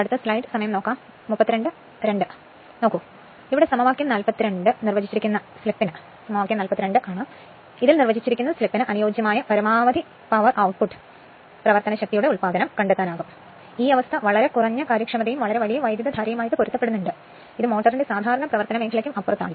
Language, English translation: Malayalam, So, maximum power output can then be found corresponding to the slip define by equation 42; however, this condition correspond to very low efficiency and very large current and is well beyond the normal operating region of the motor